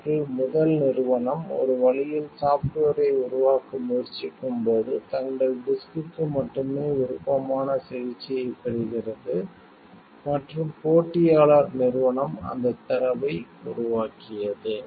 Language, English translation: Tamil, They have when the first company, they have like try to gain develop the software in a way, like only their disk gets a preferred treatment and the competitor company has forged into that data